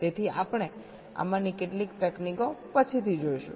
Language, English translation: Gujarati, so we shall see some of these techniques later